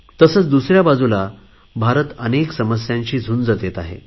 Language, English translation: Marathi, India is grappling with diverse challenges